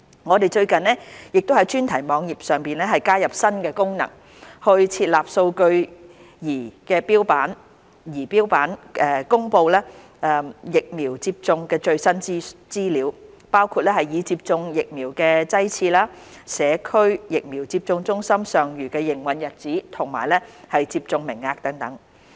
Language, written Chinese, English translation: Cantonese, 我們最近亦在專題網頁上加入新功能，設立數據儀錶板公布疫苗接種的最新資料，包括已接種的疫苗劑次、社區疫苗接種中心尚餘的營運日子及接種名額等。, We have recently added new features to the thematic website and set up a data dashboard to publish latest information regarding vaccination including the number of doses administered remaining days of operation and remaining quotas of the Community Vaccination Centres etc